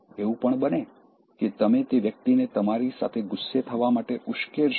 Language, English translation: Gujarati, And then, even you provoke the person to get angry with you